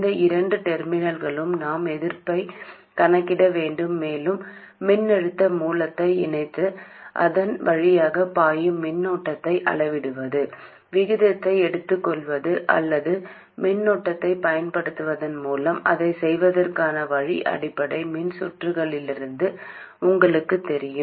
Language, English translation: Tamil, And we have to calculate the resistance looking into these two terminals and you know from basic electrical circuits that the way to do it is by either connecting a voltage source and measuring the current that is flowing through it, taking the ratio or applying a current source, finding the voltage that develops and taking the ratio